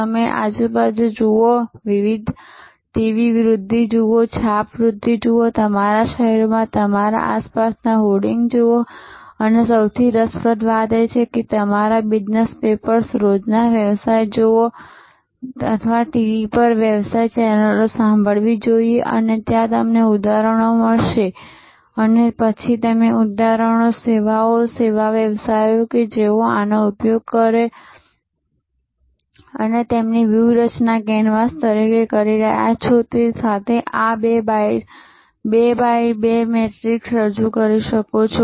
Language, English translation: Gujarati, You look around, look at the various TV promotions, print promotions, look at the hoarding around you in your city and most interestingly you should look at the business papers, the business dailies and or listen to the business channels on TV and you will find number of examples and you can then present this two by two matrix populated with examples, services, service businesses who are using this as their strategy can canvas